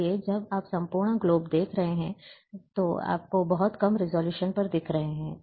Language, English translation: Hindi, So, when you are seeing the entire globe, you are seeing at very low resolution